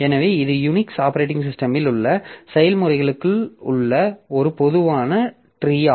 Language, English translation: Tamil, So, this is a typical tree that we have for processes in Unix operating system